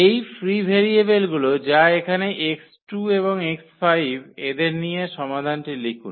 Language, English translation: Bengali, Write down the solution by taking these free variables that is the x 2 here and also this x 5